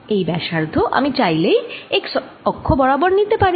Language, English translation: Bengali, i can always take this radius to be along the x axis